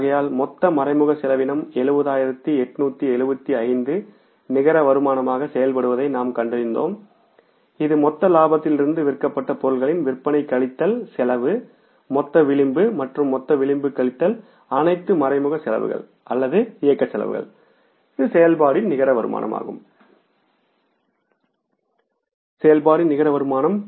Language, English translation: Tamil, So we found out that the total indirect expense was worked out as 70,875 net income from the operations is that is from the gross margin, sales minus cost of goods sold is a gross margin and gross margin minus all indirect expenses or operating expenses is the net income from operations which is 16,625